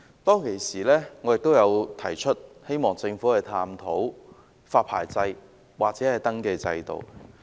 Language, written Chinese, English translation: Cantonese, 當時我亦表示希望政府探討發牌制度或登記制度。, I said at the time that I hoped the Government would explore the introduction of a licensing or registration system